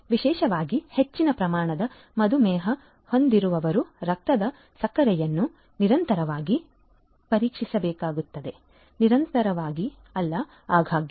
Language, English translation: Kannada, Particularly, the ones who have higher degrees of diabetes; they have to they are required to check the blood sugar continuously, not continuously but quite often